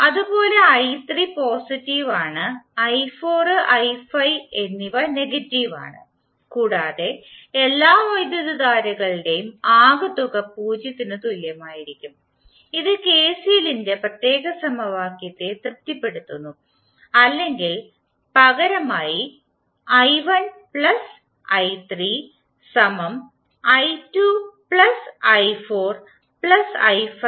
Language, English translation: Malayalam, Similarly, i3 ¬is positive and i¬4 ¬¬and i¬5¬ are negative and the sum of all the currents would be equal to 0 which is satisfying the particular equation of KCL or alternatively you can write that i¬1 ¬plus i¬3 ¬is equal to i¬¬¬2¬ plus i¬¬4 ¬plus i¬5¬